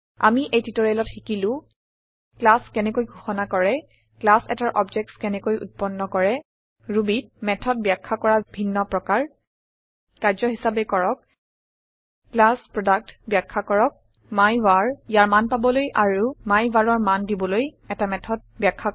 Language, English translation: Assamese, In this tutorial we have learnt How to declare classes How to create objects of a class Different ways of defining methods in Ruby As an assignment: Define a class Product Define methods that you can use to get values of myvar and set values for myvar